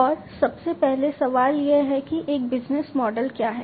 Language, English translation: Hindi, And first of all the question is that, what is a business model